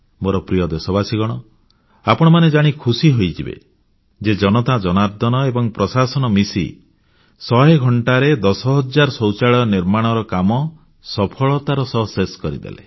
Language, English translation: Odia, And my Dear Countrymen, you will be happy to learn that the administration and the people together did construct 10,000 toilets in hundred hours successfully